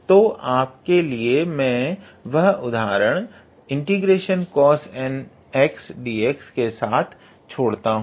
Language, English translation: Hindi, So, I am going to leave those examples for cos n to the power x dx